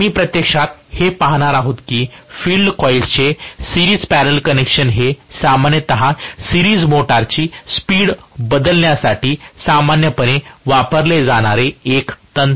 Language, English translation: Marathi, So, we are actually going to see that the series parallel connection of field coils generally is a very very commonly used technique to change the speed of a series motor